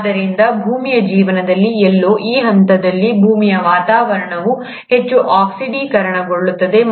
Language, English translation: Kannada, So it is at this point somewhere in earth’s life that the earth’s atmosphere became highly oxidate